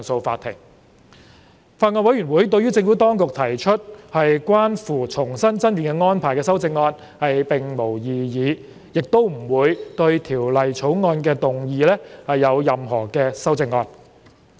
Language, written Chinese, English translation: Cantonese, 法案委員會對於政府當局提出的關乎重新爭辯安排的修正案並無異議，亦不會對《條例草案》動議任何修正案。, 4 upon commencement of the operation of the proposed amendments to Cap . 4 introduced by the Bill . The Bills Committee does not object to the amendment proposed by the Administration on the re - argument arrangement and will not propose any amendments to the Bill